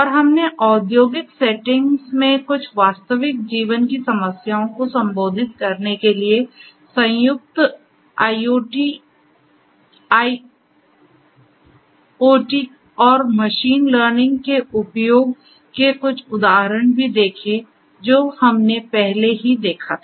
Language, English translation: Hindi, And we have also seen a few examples of the use of IIoT and machine learning combined for addressing some machine some real life problems in industrial settings we have already seen that